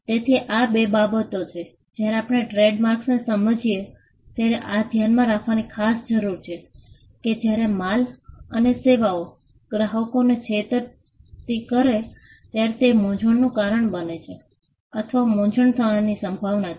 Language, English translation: Gujarati, So, these are two things, that we need to bear in mind when we understand trademarks, that when goods and services deceives customers, or it causes confusion or there is a likelihood to cause confusion